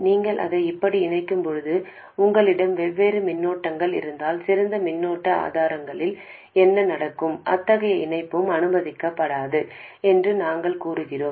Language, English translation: Tamil, When you do connect it up like this and you do have two currents which are different, what happens in case of ideal current sources we say that such a connection is not permitted